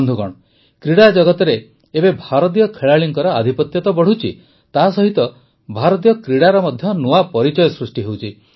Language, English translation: Odia, Friends, in the sports world, now, the dominance of Indian players is increasing; at the same time, a new image of Indian sports is also emerging